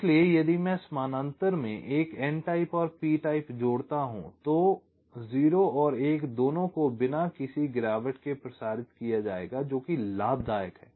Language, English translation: Hindi, so if i connect an n type and p type in parallel, then both zero and one will be transmitted without any degradation